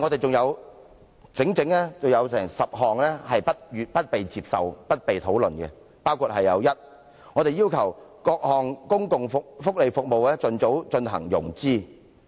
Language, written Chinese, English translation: Cantonese, 還有整整10項建議不獲接納和沒有討論，包括：第一，我們要求各項公共福利服務盡早進行融資。, There are 10 other suggestions which have not been accepted or discussed including first we request expeditious financing for various public welfare services